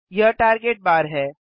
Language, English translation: Hindi, This is the Target bar